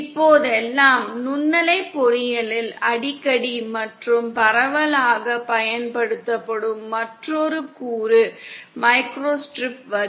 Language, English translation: Tamil, Another component that is frequently and most widely used in microwave engineering nowadays is the microstrip line